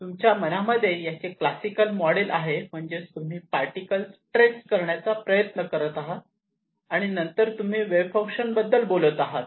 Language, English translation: Marathi, Okay, you have a classical model in mind, that is you are actually trying to trace the particle and then you talk about the wave function